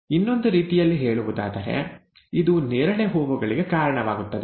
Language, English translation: Kannada, In other words, this would result in purple flowers